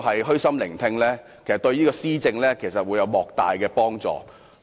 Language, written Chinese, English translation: Cantonese, 虛心聆聽市民意見，對施政會有莫大幫助。, Listening to public views with an open mind is greatly conducive to governance